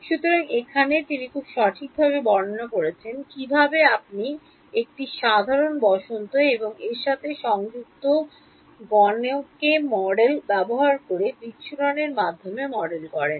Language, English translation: Bengali, So, here he describes very properly what how do you model the dispersive medium using a simple spring and mass attached to it models